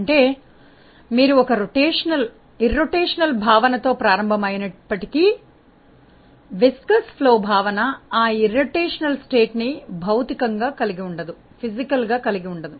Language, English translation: Telugu, That means, although you may start with an irrotational assumption the viscous flow assumption will not hold that irrotational state physically